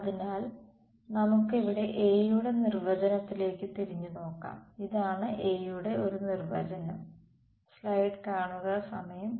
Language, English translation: Malayalam, So, let us look back at our definition of A over here right, this is a definition of A